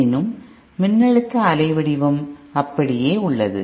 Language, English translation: Tamil, However, the voltage waveform remains the same